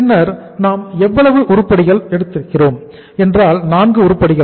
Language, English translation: Tamil, Then we have how much we have taken the 4 items here